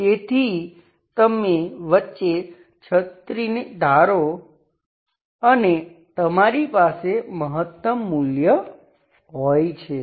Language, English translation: Gujarati, Imagine an umbrella, at the middle you have the maximum value